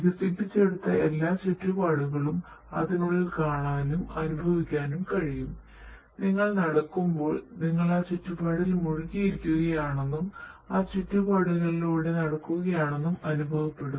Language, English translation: Malayalam, So, everything every end developed environment you can see and feel inside it whenever you will be walking inside you can feel that you are immersed in that environment; environment and you are walking inside that environment